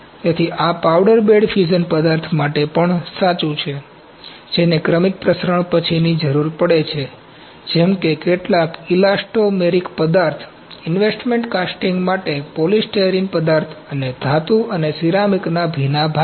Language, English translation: Gujarati, So, this is also true for powder bed fusion material that require post infiltration, such as some elastomeric materials, polystyrene materials for investment casting and metal and ceramic green parts